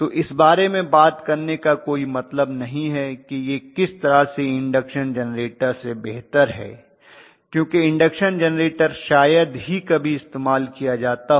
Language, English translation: Hindi, So there is no point on talking about in what way it is better than induction generator because induction generator is hardly ever used they are not used very commonly